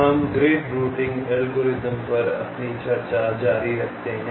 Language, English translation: Hindi, so we continue with our discussions on the grid routing algorithms